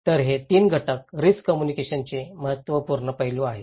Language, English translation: Marathi, So, these 3 components are important aspect of risk communications